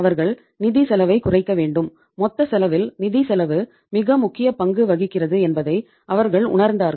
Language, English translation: Tamil, They have to bring the financial cost down and they realized that in the total cost financial cost plays very very important role